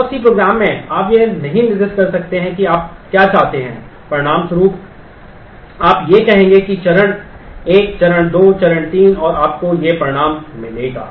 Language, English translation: Hindi, And in C program, you cannot specify what you want as a result you would rather say that do step one, step two, step three and you will get this result